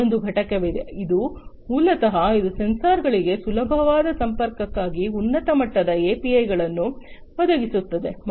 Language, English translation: Kannada, There is another component, which is basically, which provides high level APIs for easier connectivity to the sensors